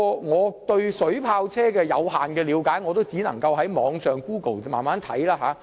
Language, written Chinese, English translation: Cantonese, 我對水炮車的了解有限，只能上網用 Google 搜尋相關資料。, As my knowledge about water cannon vehicles is rather limited I can only google relevant information online